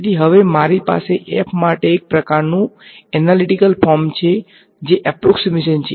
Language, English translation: Gujarati, So, now I have a sort of analytical form for f which is approximation